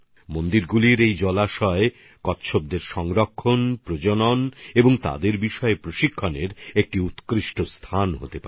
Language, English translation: Bengali, The ponds of theses temples can become excellent sites for their conservation and breeding and training about them